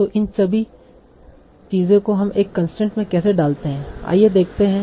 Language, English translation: Hindi, So all these things, how do we put together in the constraint